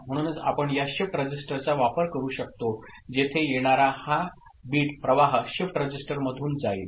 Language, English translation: Marathi, So, that is the way we can make use of this shift register where the incoming this bit stream will pass through a shift register